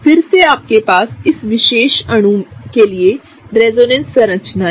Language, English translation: Hindi, In this case, again you have the resonance structures for this particular molecule